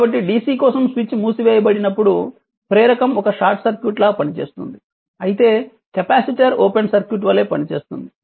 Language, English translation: Telugu, So, for for dc when switch is closed for long time inductor will act a short circuit whereas capacitor act as open circuit this things you have to keep it in your mind